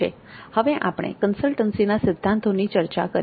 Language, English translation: Gujarati, Then we go to the principles of consulting